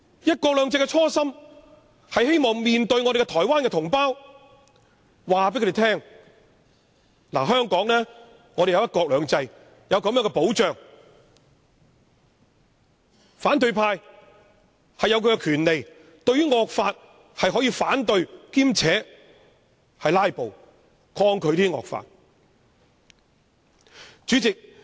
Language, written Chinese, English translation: Cantonese, "一國兩制"的初心，是希望告訴台灣同胞，香港有"一國兩制"的保障，反對派有權反對惡法，兼且以"拉布"抗拒惡法。, The original intention of one country two systems is to tell Taiwan compatriots that Hong Kong is under the protection of one country two systems that the opposition camp has the right to oppose and resist draconian laws through filibustering